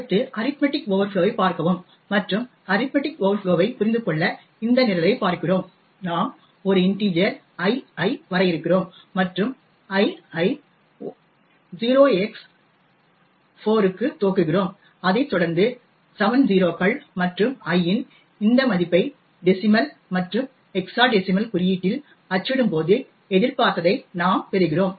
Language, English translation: Tamil, Next people look at arithmetic overflows and to understand arithmetic overflows we look at this program, we define an integer l and initialise l to 0x4 followed by 7 0s and when we do print this value of l in decimal and hexa decimal notation we get what is expected